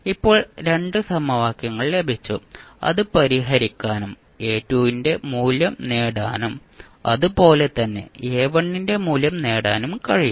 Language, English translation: Malayalam, So now we got 2 equations and we can solved it and we can get the value of A2 and similarly we can get the value of A1